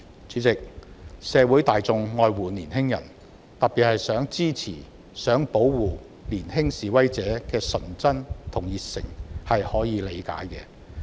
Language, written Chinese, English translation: Cantonese, 主席，社會大眾愛護年輕人，特別想支持及保護年輕示威者的純真和熱誠，這是可以理解的。, President the general public care about young people such that they want to support young protesters and protect their innocence and passion . This is comprehensible